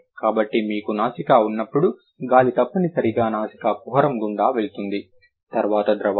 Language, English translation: Telugu, So, when you have nasals, the air must pass through the nasal cavity